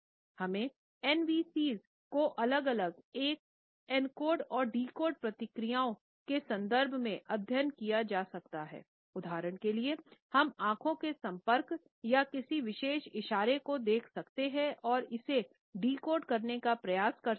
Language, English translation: Hindi, Though NVCs can be studied individually in terms of separate encoding and decoding processes; for example, we can look at eye contact or a particular gesture and can try to decode it